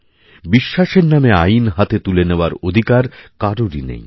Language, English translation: Bengali, No one has the right to take the law into one's own hands in the name of one's beliefs